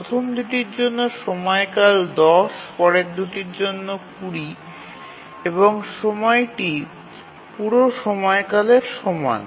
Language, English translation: Bengali, The period is 10 for the first 2, 20 for the next 2 and the deadline is same as the period